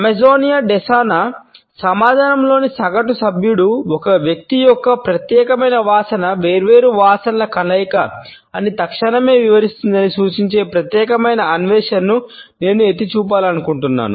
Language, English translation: Telugu, I would like to point out particular finding which suggests that the average member of the Amazonian Desana community will readily explain that an individual's unique odor is a combination of different smells